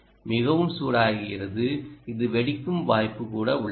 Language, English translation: Tamil, there is a chance that this might even explode